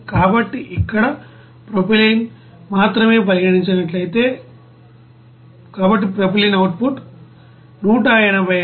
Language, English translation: Telugu, So for that, if we considered that only propylene here, so for propylene output will be is equal to 186